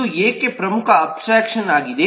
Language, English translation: Kannada, why is it a key abstraction